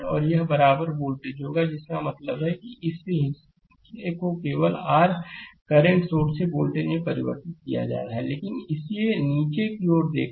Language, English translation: Hindi, And this will be the equivalent voltage I mean you are transforming this portion only from your current source to the voltage, but look at this it is downward